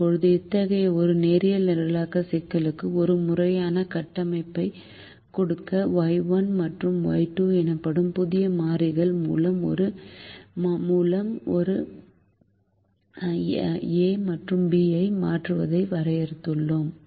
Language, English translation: Tamil, now, to give a formal structure to such a linear programming problem we define, replace a and b by new variables called y one and y two, and if we do so, the new problem becomes minimize twenty one